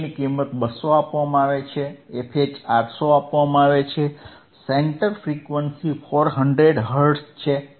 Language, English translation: Gujarati, ff LL is 200 given, f H is 800 given, center frequency is 400 quad it done easyHz